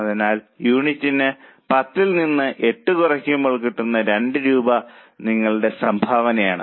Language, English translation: Malayalam, So, 10 minus 8, 2 rupees per unit basis is your contribution